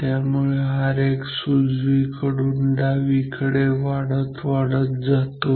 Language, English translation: Marathi, So, R X increases from right to left